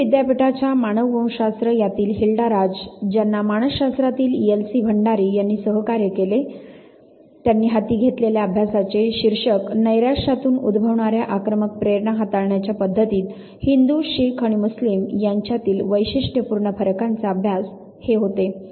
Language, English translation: Marathi, Hilda Raj from anthropology who was also assisted by L C Bhandari from psychology of Delhi university they took up a work titled a study of characteristic differences between Hindus, Sikhs and Muslims in the manner of handling aggressive impulses arising from frustration